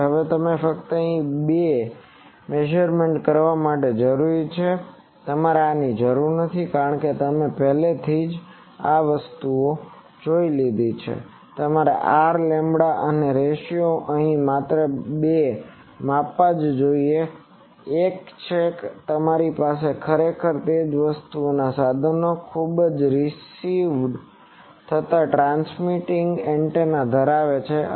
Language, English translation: Gujarati, So, you do two measurements in this here only required to measurements, you do not have to because, here you see in previous cases you need to measure R lambda and these ratios here only two measurements; one is you actually have that same thing instruments that have a very receiving transmitting antenna